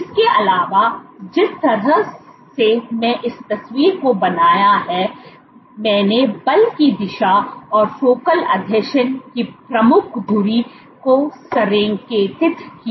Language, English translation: Hindi, Moreover, the way I drew this picture I roughly aligned the direction of the force and the major axis of the focal adhesion